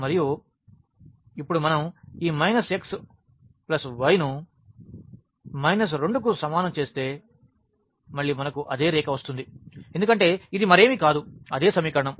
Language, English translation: Telugu, And, now if we draw this minus x plus y is equal to minus 2 again we get the same line because, this is nothing, but the same equation